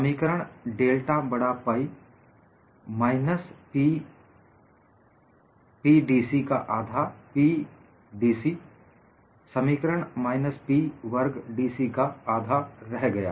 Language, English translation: Hindi, So, delta capital pi becomes minus one half of P P d C which reduces to minus one half of P square d C